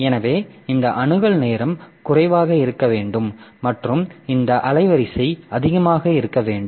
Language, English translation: Tamil, So, this we want that this access time should be low and this bandwidth should be high